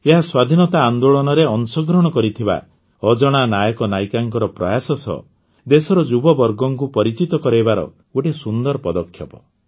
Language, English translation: Odia, This is a great initiative to acquaint the younger generation of the country with the efforts of unsung heroes and heroines who took part in the freedom movement